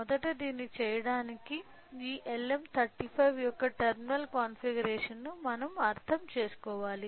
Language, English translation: Telugu, So, in order to do that first we should understand about the terminal configuration of this LM35